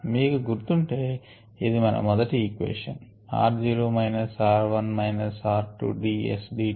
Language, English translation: Telugu, if you remember that the first equation, r zero minus r one, minus r two, is d s d t